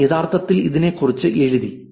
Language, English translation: Malayalam, That for they actually wrote about